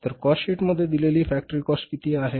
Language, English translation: Marathi, So, what is the factory cost in the cost sheet